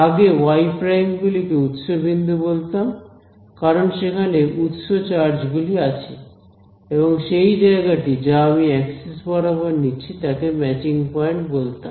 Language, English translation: Bengali, Previously the y primes we call them as source points because that is where the source charges and the corresponding place where I choose along the axis, I called them matching points